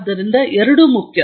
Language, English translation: Kannada, So both are important